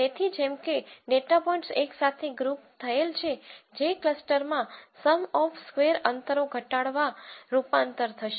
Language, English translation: Gujarati, So, that like data points are grouped together which would translate to minimizing within cluster, sum of square distances